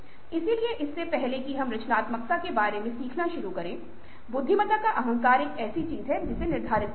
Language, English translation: Hindi, so, before we start learning about creativity, the arrogance of intelligence is something which has to be said